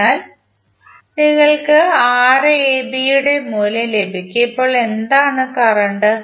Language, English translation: Malayalam, So you will simply get the value of Rab and now what would be the current